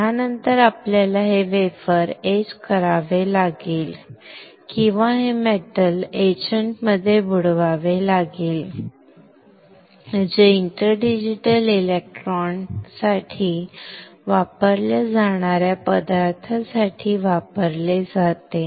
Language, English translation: Marathi, After this we have to etch this wafer or dip this wafer in the metal etchant which is used for the matter which is used for interdigital electrons